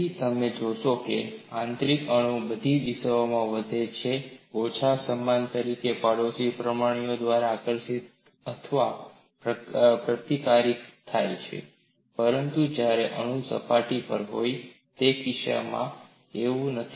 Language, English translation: Gujarati, So, what you find is, the interior atom is attracted or repulsed by the neighboring atoms more or less uniformly in all the directions, but that is not the case when I have the atom on the surface